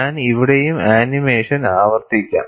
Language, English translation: Malayalam, I would repeat the animation here also